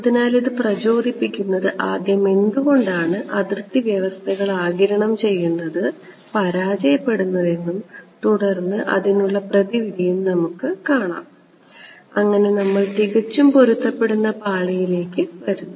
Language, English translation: Malayalam, So, to motivate this first we will start with a why do absorbing boundary conditions fail and then the remedy ok, we have some motivation and then we come to perfectly matched layers